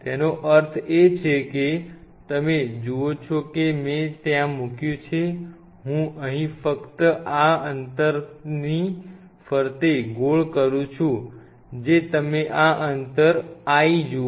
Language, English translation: Gujarati, That means, that l what you see what I have put there l up to here I am just circling it with this distance what you see, this distance this l